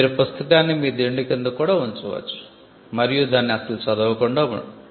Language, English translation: Telugu, You can even keep the book under your pillow and not read it at all perfectly fine